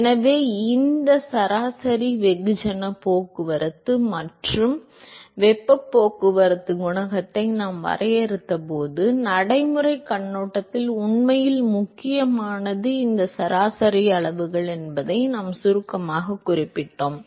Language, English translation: Tamil, So, when we defined these average mass transport and heat transport coefficient, I briefly alluded to the fact that what is really important from practical point of view is these average quantities